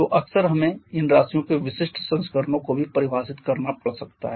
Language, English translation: Hindi, So quite often we may have to define specific versions of these quantities